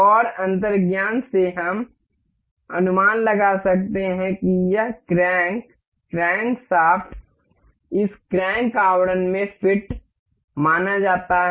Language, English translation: Hindi, And by intuition we can guess this crank crankshaft is supposed to be fit into this crank casing